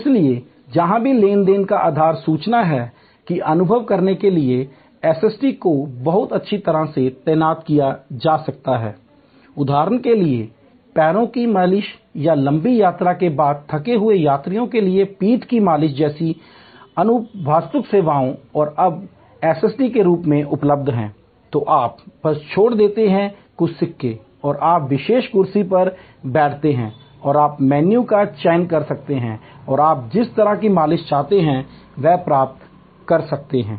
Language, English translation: Hindi, So, wherever the basis of transaction is information as suppose to experience SST can be very well deployed, some even experiential services like for example foot massage or back massage for tired travelers after long flight and now available as a SST, you just drop in a few a coins and you sit on the special chair and you can select the menu and you can get the kind of massage you want